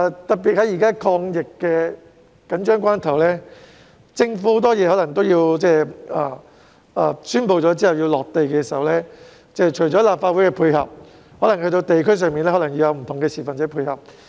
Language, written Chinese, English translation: Cantonese, 特別是，現時是抗疫的緊張關頭，政府的多項措施在宣布並在地區推行時除需要立法會配合外，亦需要在地區上的市民配合。, One particular point to note is that it is now a critical moment in our fight against the epidemic . Apart from the support of the Legislative Council peoples support in the community is also needed for implementing various measures announced by the Government in the community